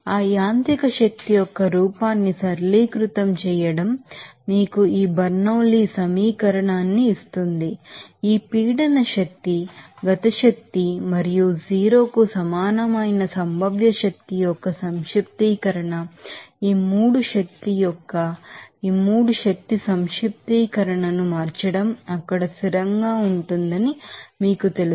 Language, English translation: Telugu, So, simplify form of that mechanical energy will give you this Bernoulli’s equation, what is this you know that summation of this pressure energy kinetic energy and that potential energy that will be equal to 0, what does it mean that change of these 3 energy summation of these 3 energy will be you know constant there